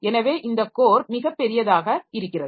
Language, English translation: Tamil, So, this core becomes very large